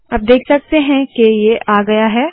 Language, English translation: Hindi, Now you see it has come